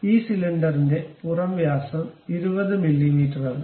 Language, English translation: Malayalam, The outside diameter of this cylinder is 20 mm